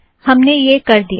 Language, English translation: Hindi, We did this